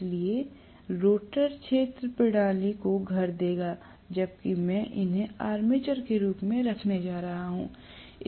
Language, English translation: Hindi, So, the rotor will house the field system, whereas I am going to have these as the armature